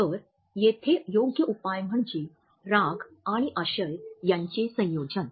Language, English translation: Marathi, So, here the right solution is a combination of anger and content